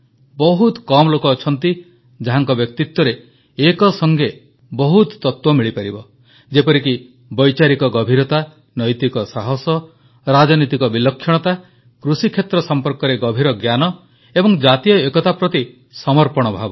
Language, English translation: Odia, You will come across few people whose personality has so many elements depth of thoughts, moral courage, political genius, in depth knowledge of the field of agriculture and spirit of commitment to national unity